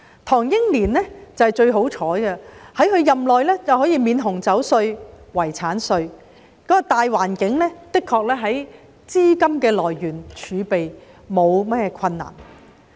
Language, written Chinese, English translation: Cantonese, 唐英年是最幸運的一位，他任內可以取消紅酒稅和遺產稅，當時的大環境無論是資金來源或儲備上都沒有困難。, Henry TANG is the luckiest of all . He abolished wine tax and estate duty while he was in office for the general environment back then posed no problem of funding sources or fiscal reserves